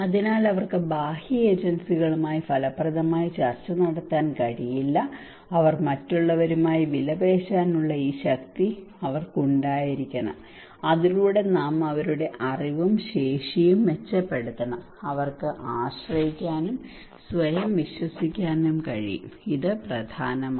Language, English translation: Malayalam, Therefore they cannot effectively negotiate with the external agencies so they should have these power to bargain with the other so that we should improve their knowledge and capacity also they should be able to depend, trust themselves okay, this is important